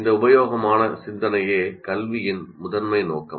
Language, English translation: Tamil, Productive thinking that is the main purpose of education